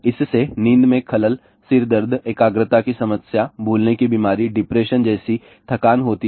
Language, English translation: Hindi, It leads to sleep disruption , headache, concentration problem, forgetful memory, depression fatigue